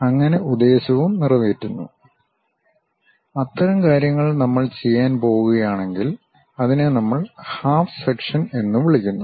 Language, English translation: Malayalam, Thus, also serves the purpose; such kind of things if we are going to do, we call that as half section things